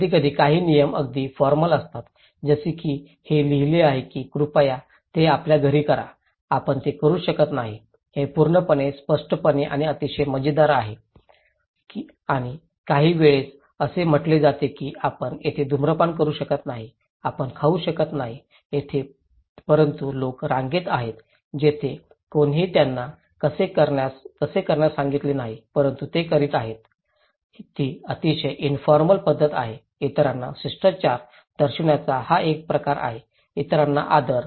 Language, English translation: Marathi, Like sometimes, some rules are very formal like itís written that please do it at your home, you cannot do it, it is completely, explicitly and very fun written and some are sometimes that a very formal that you cannot smoke here, you cannot eat here but people are on a queue where nobody told them to do that but they are doing it, itís very informal manner, it is a kind of to showing the manners to others; respect to others